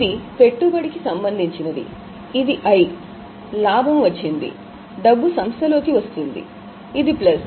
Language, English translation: Telugu, Now this is related to investment, so it is I, profit has so money is coming in, so it is plus